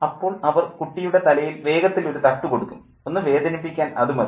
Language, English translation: Malayalam, And there would be a swift knock on the child's head, you know, enough to hurt